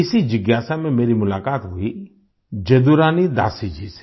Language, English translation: Hindi, With this curiosity I met Jaduarani Dasi ji